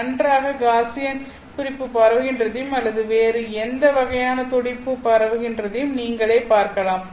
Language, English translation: Tamil, Nicely Gaussian pulse spreading out or any other kind of a pulse that is spreading out